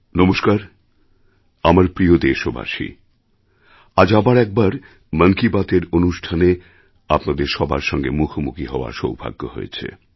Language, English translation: Bengali, My dear countrymen, I'm fortunate once again to be face to face with you in the 'Mann Ki Baat' programme